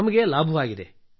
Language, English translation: Kannada, We are benefited